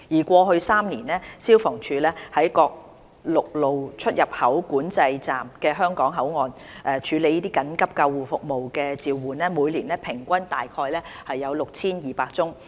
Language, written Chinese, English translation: Cantonese, 過去3年，消防處在各陸路出入境管制站的香港口岸處理的緊急救護服務召喚，每年平均約有 6,200 宗。, The number of calls for emergency ambulance services handled by FSD at the Hong Kong ports of various land control points averaged about 6 200 per year over the past three years